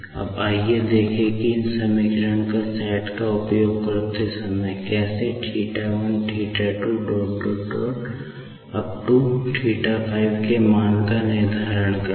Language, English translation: Hindi, Now, let us see how to determine the values of the theta like θ1 , θ 2 ,